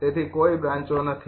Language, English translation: Gujarati, right, so no branches